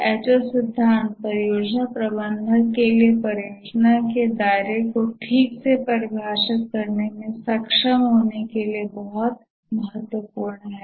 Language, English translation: Hindi, The W5 H H principle is very important for the project manager to be able to properly define the scope of the project